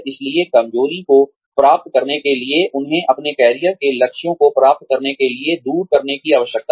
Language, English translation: Hindi, So, to achieve the weakness, they need to overcome, to achieve their career goals